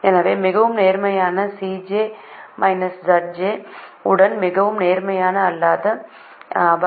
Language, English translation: Tamil, so enter the most positive non basic variable with the most positive c j minus z j